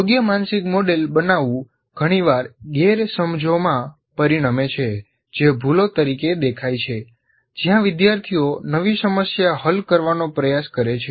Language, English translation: Gujarati, And building an inappropriate mental model often results in misconceptions that show up as errors when learners attempt to solve a new problem